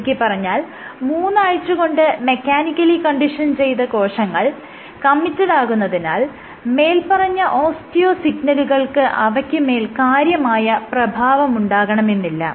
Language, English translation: Malayalam, So, the strength if you mechanically condition the cells for 3 weeks, they are committed enough then the osteo signal is not going to have much of an effect